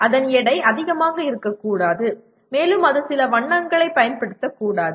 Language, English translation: Tamil, Its weight should not be more than that and possibly it should not use some colors